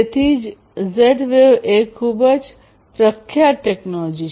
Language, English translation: Gujarati, So, that is why Z wave is a very popular technology